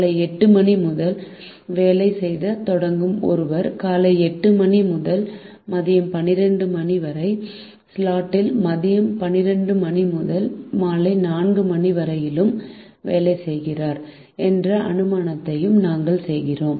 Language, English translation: Tamil, the also make an assumption that a person who starts working at eight am works in the slot eight am to twelve noon as well as in the slot